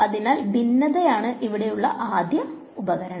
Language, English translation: Malayalam, So, divergence is the first tool over here